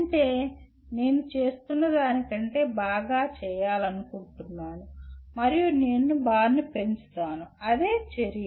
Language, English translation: Telugu, That means I want to do better than what I have been doing and I raise the bar okay that is what action is